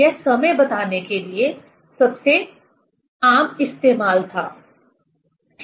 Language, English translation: Hindi, This was the most common used to tell the time, ok